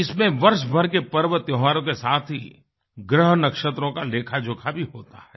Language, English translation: Hindi, It comprises festivals all around the year as well as the movements of the celestial bodies